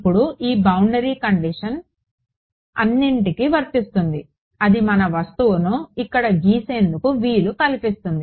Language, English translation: Telugu, Now this boundary condition applies to what all does it apply to let us draw our object over here ok